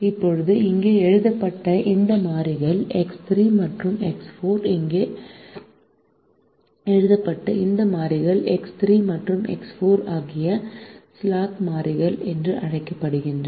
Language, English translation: Tamil, now these variables x three and x four that are written here, these variables x three and x four that are written here, are called slack variables